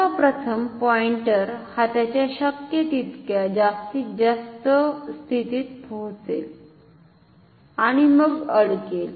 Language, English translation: Marathi, Firstly, the pointer will of course, get to it is maximum possible position and will get stuck ok